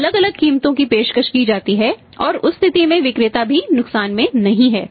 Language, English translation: Hindi, So, varying prices are offered at that in that case the seller is also not at loss